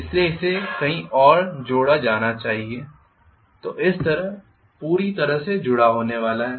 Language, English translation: Hindi, So that should also be connected elsewhere, so this is how the entire thing is going to be connected